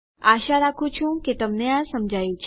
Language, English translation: Gujarati, Hopefully you have got this